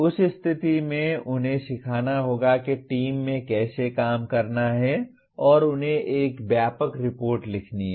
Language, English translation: Hindi, In that case they have to learn how to work in a team and they have to write a comprehensive report